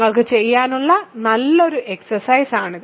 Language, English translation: Malayalam, So, this is a good exercise for you to do ok